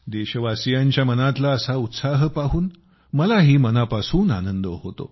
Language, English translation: Marathi, It gives me immense happiness to see this kind of spirit in my countrymen